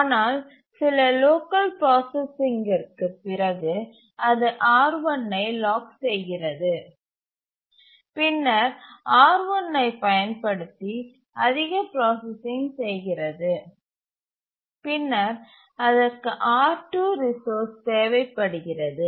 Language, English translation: Tamil, But then after some local processing it locks R1 and then does more processing using R1 and then needs the resource R2